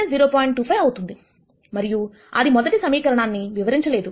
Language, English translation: Telugu, 25 and that would not solve the first equation